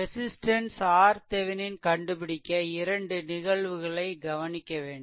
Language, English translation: Tamil, So, for finding your Thevenin resistance R Thevenin, we need to consider 2 cases